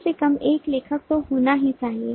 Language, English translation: Hindi, there must be one author at least